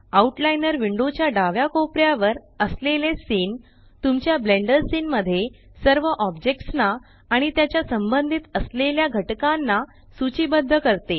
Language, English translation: Marathi, Scene at the top left corner of the outliner window, lists all the objects in your Blender scene and their associated elements